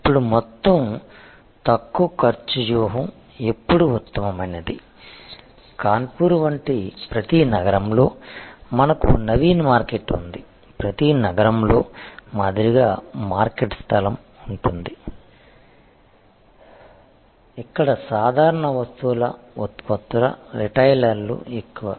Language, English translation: Telugu, Now, when is overall low cost strategy best for example, in every city like in Kanpur we have Naveen market, like in every city there will be a market place, where most of the retailers of regular merchandise products